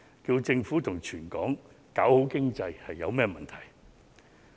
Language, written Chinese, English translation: Cantonese, 促請政府及全港搞好經濟有甚麼問題？, What is wrong with urging the Government and everyone in Hong Kong to improve the economy together?